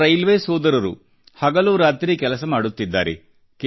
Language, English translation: Kannada, Our railway personnel are at it day and night